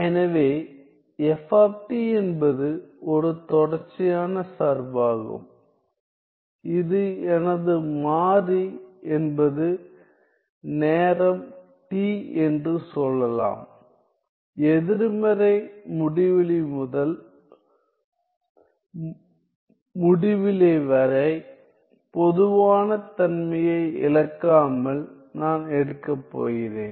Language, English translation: Tamil, So, f t is a continuous function of let us say my variable is time t and t I am going to take well, I am going to take without loss of generality from negative infinity to infinity